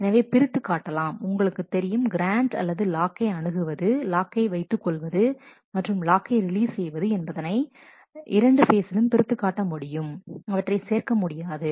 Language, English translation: Tamil, So, you are just separating out the you know the grant or the access of locks holding of locks and the releasing of locks into two different phases you do not mix them up